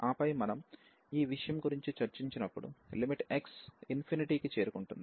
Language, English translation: Telugu, And then we will be talking about, when we take this limit x approaches to infinity